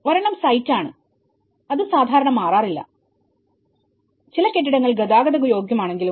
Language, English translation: Malayalam, One is a site, which generally does not change, although a few buildings are transportable